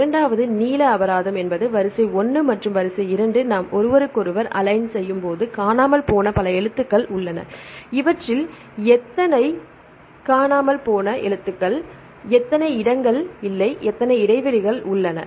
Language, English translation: Tamil, And the second one is length penalty there is a number of missing characters when the sequence 1 and the sequence 2 when we align each other how many places where this is not how many places you have the gaps ok